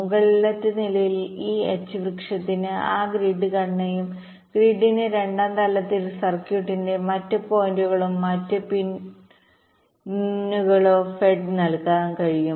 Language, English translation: Malayalam, this h tree can feed that grid structure and the grid can, in the second level, use to feed the other points or other pins of the circuit